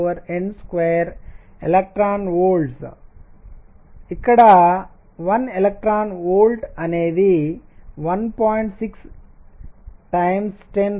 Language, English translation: Telugu, 6 over n square e v electron volts where let me just clarify 1 electron volt is 1